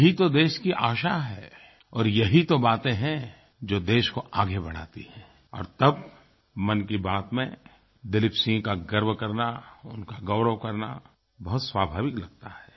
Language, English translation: Hindi, This is the hope of the nation and these are the things which carry the nation forward and it is natural that we applaud Dileep Singh and his efforts in Mann ki Baat